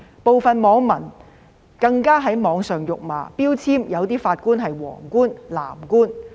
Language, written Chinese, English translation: Cantonese, 部分網民更在網上辱罵，標籤某些法官是"黃官"、"藍官"。, Some netizens have even hurled insults at judges online labelling them as yellow judges or blue judges